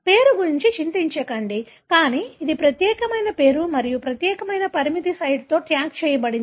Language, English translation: Telugu, Let’s not worry about the name, but this is a unique name and tagged with a unique restriction site